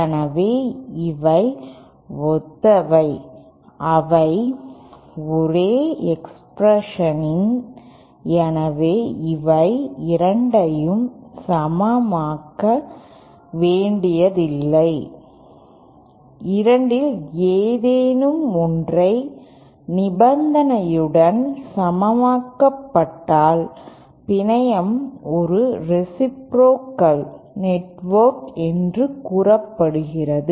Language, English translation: Tamil, So these are the similar, they are the same expression so itÕs not both these have to be satisfied any one of these with any one of these condition is satisfied then the network is said to be a reciprocal network